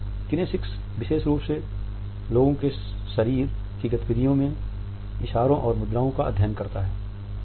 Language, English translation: Hindi, Kinesics studies body gestures and postures in the movement of the people particularly